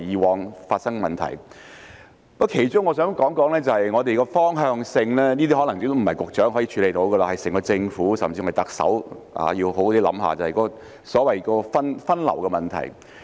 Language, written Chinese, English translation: Cantonese, 我想談的其中一點是我們的方向，這可能並非局長一人能處理的問題，整個政府甚至特首應好好思考分流的問題。, One of the points I want to talk about is our direction which may not be a problem the Secretary can handle alone . The entire government and even the Chief Executive should think about diversion